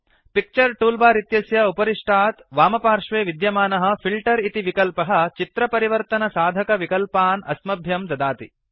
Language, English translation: Sanskrit, The Filter button at the top left of the Picture toolbar gives several options to change the look of the image